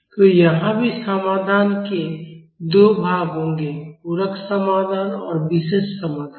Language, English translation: Hindi, So, here also the solution will consist of 2 parts; the complementary solution and the particular solution